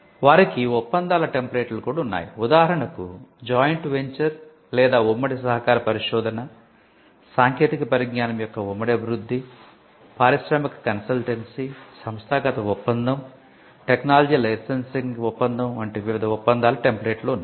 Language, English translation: Telugu, They also have templates of agreements; for instance, various agreements like a joint venture or a joint collaborative research, joint development of technology, industrial consultancy, inter institutional agreement technology licensing agreement